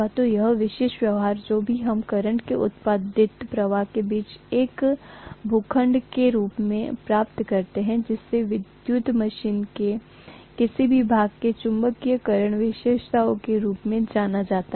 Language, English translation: Hindi, So this particular behavior whatever we get in the form of a plot between the flux produced versus current, that is known as the magnetization characteristics of any of the portions of an electrical machine, right